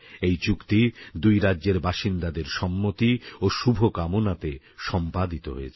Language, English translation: Bengali, This agreement was made possible only because of the consent and good wishes of people from both the states